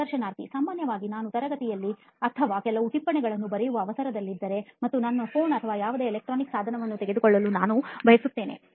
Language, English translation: Kannada, Usually in class or if I am in a hurry to just write some notes and I do not want to take my phone or the any electronic device